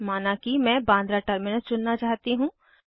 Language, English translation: Hindi, So lets suppose that i want to choose Bandra Terminus